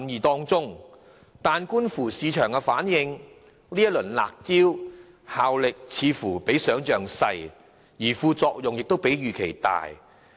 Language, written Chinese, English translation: Cantonese, 可是，觀乎市場反應，這些"辣招"的效力似乎比想象小，而副作用卻比預期大。, However as illustrated by the market response it seems that such harsh measures are less effective than expected and the side effects caused are more significant than imagined